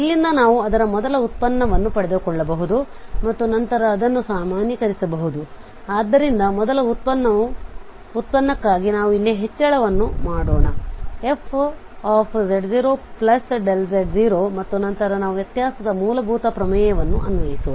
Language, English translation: Kannada, From here we can derive its first derivative and then it can be generalized, so for the first derivative let us just make an increment here fz 0 plus delta z and then we will apply the fundamental theorem of differentiability